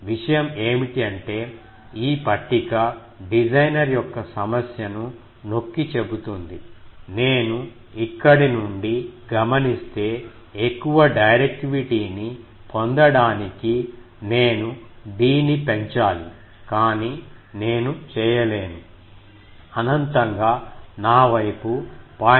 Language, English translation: Telugu, Point is this table underscores the designer’s problem that to get more directivity we will see from here that if I want to have more directivity, I need to increase d but I cannot do it, infinitely my end is less than 0